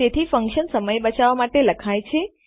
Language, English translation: Gujarati, There you go So, functions are written to save time